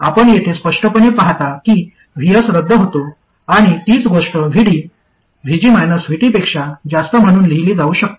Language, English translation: Marathi, Clearly you see here that VS cancels out and the same thing can be equivalently written as VD being more than VG minus VT